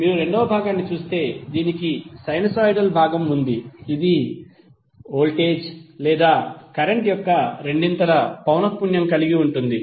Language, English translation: Telugu, While if you see the second part, it has the sinusoidal part which has a frequency of twice the frequency of voltage or current